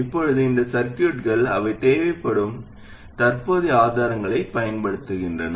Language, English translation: Tamil, Now these circuits, they use these current sources which are required